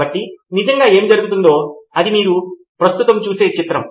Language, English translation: Telugu, So what really happened is the picture that you see right now